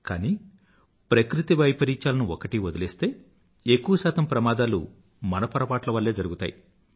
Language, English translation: Telugu, Leave aside natural disasters; most of the mishaps are a consequence of some mistake or the other on our part